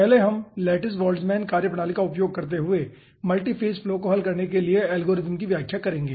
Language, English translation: Hindi, first we will be explaining the algorithm for solving multiphase flow using lattice boltzmann methodology